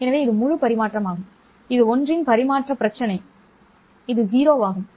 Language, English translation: Tamil, So, this is full transmission which is the transfer ratio of 1